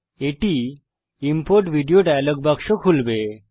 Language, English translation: Bengali, This will open the Import Video dialog box